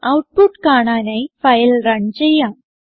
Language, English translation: Malayalam, So Let us run the file to see the output